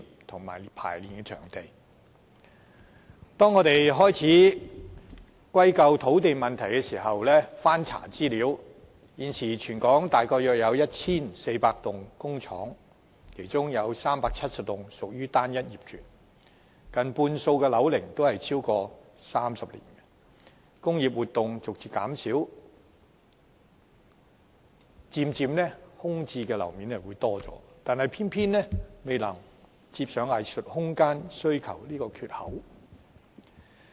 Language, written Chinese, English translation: Cantonese, 我們難免會把問題歸咎於土地不足，但經翻查資料後，卻發現全港現時約有 1,400 幢工廈，其中370多幢屬單一業權，近半數工廈的樓齡超過30年，工業活動逐漸減少，空置樓面漸漸增加，但仍不足以填補藝術空間需求這個缺口。, Inevitably we think it is the inadequate land supply to blame . Yet upon searching archive for relevant information it is found that there are approximately 1 400 industrial buildings throughout the territory among which 370 are industrial buildings with single ownership and nearly half of those are buildings older than 30 years . While the vacant floor area is increasing due to the gradual reduction in industrial activity the gap arising from the need for artistic room has yet to be filled